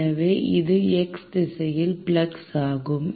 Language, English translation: Tamil, So, this is the flux in x direction